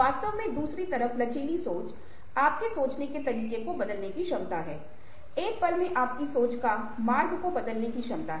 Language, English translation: Hindi, flexible thinking, on the other hand, is the ability to change your way of thinking, the route of your thinking, at a moments notice